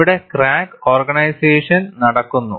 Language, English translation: Malayalam, And here crack initiation takes place